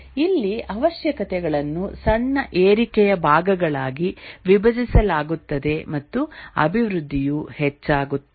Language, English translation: Kannada, Here the requirements are decomposed into small incremental parts and development proceeds incrementally